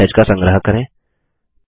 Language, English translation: Hindi, Lets archive the third message